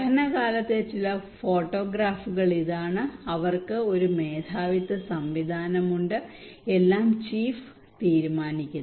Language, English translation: Malayalam, This is some of the photographs during the study they have a chieftainship system, chief decides everything